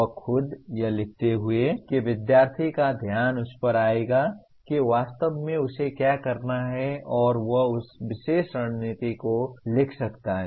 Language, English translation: Hindi, That itself, writing that itself will bring the attention of the student to what exactly he needs to do and he can write down that particular strategy